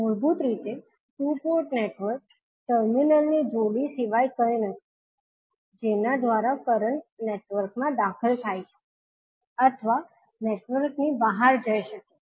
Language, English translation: Gujarati, Basically, the two port network is nothing but a pair of terminals through which a current may enter or leave a network